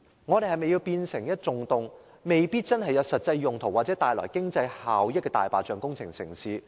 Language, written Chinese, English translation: Cantonese, 我們是否想香港充斥一個個沒有實際用途或經濟效益的"大白象"工程呢？, Do we want see a proliferation of white elephant projects without any practical uses and cost - effectiveness in Hong Kong?